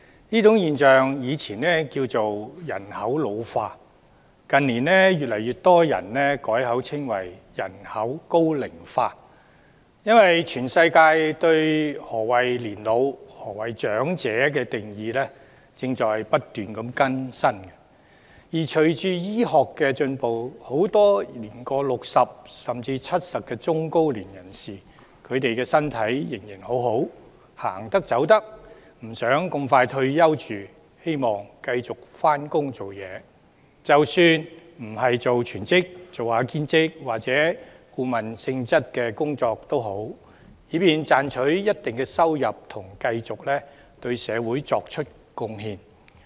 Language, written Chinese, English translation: Cantonese, 這種現象從前稱為人口老化，但近年越來越多人改稱它為人口高齡化，因為全世界對年老及長者的定義不斷更新；而隨着醫學進步，很多年過60歲，甚至年過70歲的中高齡人士的身體仍然良好，行得走得，不想這麼早退休，希望繼續上班工作，即使不是全職工作，而是做兼職或顧問性質的工作也好，以便賺取一定收入，同時繼續對社會作出貢獻。, This phenomenon was formerly known as an ageing population but more so as a maturing population in recent years . The definition of old age is constantly changing around the world and with the advancements in medicine many elderly people aged over 60 or even 70 are still in good health . Instead of retiring so early they may wish to continue to work even part - time or in an advisory role in order to earn some income whilst continuing to make contribution to society